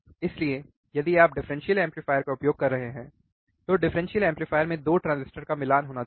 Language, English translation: Hindi, So, if you are using differential amplifier, the 2 transistors in the differential amplifier should be matching